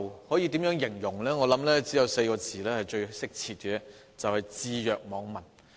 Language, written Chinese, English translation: Cantonese, 我認為只有4個字是最貼切的，就是"置若罔聞"。, I think the only appropriate description is that it has turned a deaf ear